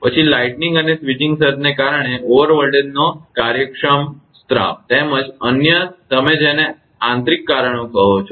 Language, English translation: Gujarati, Then the efficient discharge of over voltages due to the lightning and switching surge as well as other you are what you call internal causes